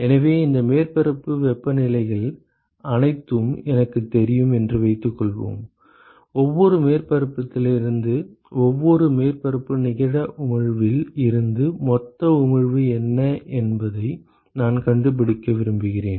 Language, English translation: Tamil, So, suppose I know all these surface temperatures, I want to find out what is the total emission from every surface right net emission from every surface if I know that I am done I can find out the net heat transfer rate